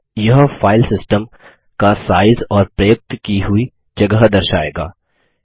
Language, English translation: Hindi, Here it shows the size of the Filesystem, and the space is used